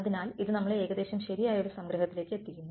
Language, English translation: Malayalam, So, this is sort of brings us to a summary that right